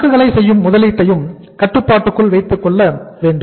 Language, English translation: Tamil, So we have to keep the investment in the inventory also under control